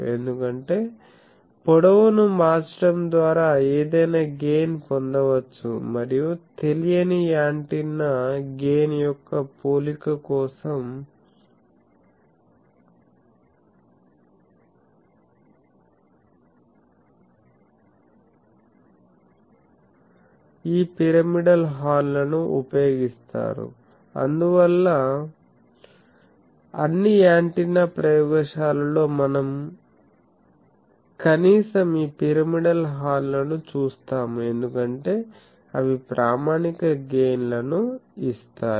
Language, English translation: Telugu, Because, any gain can be obtained by manipulating the length and so, also for comparison of gain of an unknown antenna, the this gains this pyramidal horns are used, that is why in all antenna laboratories we will see at least the this pyramidal horns, because they are they give standard gains